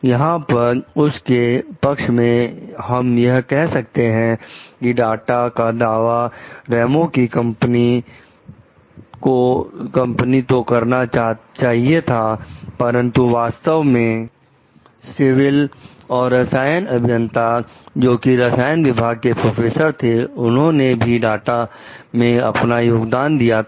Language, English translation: Hindi, Here like to in her defense we can tell, like though the data was claimed to be the Ramos s company, but again the actually, the civil the chemical engineers of chemical department professors also, had contribution in this data